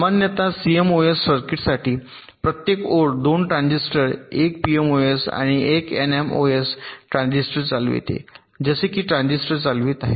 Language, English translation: Marathi, normally for a cmos circuit every line will be driving two transistors, one pmos and one nmos